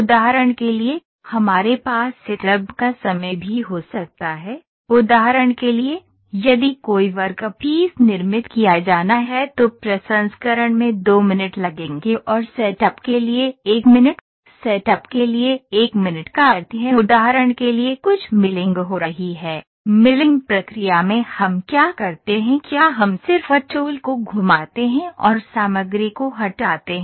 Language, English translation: Hindi, So, also we can have the setup time as well for instance a workpiece is to be manufactured it will take 2 minutes for processing and 1 minute for setup 1 minute for setup means for instance some milling is happening we are own milling process what do we do we just rotate the tool and remove the material